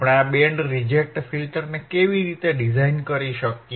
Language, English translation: Gujarati, How you can design the band reject filter